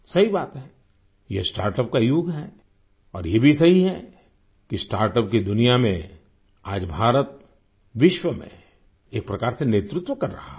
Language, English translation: Hindi, It is true, this is the era of startup, and it is also true that in the world of startup, India is leading in a way in the world today